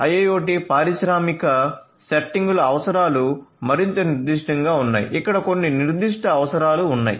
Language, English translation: Telugu, IIoT industrial settings industrial IoT requirements are more specific there are certain specific requirements over here